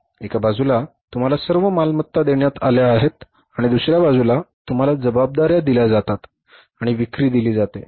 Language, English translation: Marathi, On the one side you are given all the assets and liabilities on the other side you are given the sales